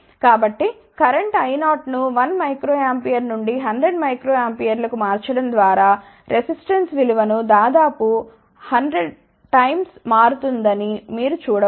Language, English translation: Telugu, So, by changing the current I 0 from let us say a 1 micro ampere to about 100 micro amperes, you can see that the resistance value can be changed by almost 100 times